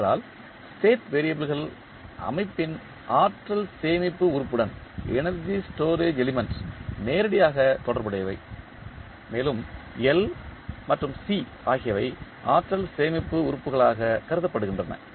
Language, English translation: Tamil, Now, why we are choosing this because the state variables are directly related to energy storage element of the system and in that L and C are considered to be the energy storage elements